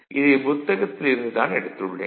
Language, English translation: Tamil, So, this again I have taken from a book